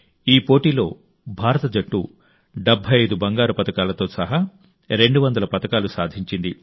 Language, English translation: Telugu, In this competition, the Indian Team won 200 medals including 75 Gold Medals